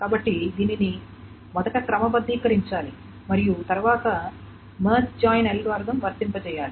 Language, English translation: Telugu, So this must be first sorted and then the March join algorithm needs to be applied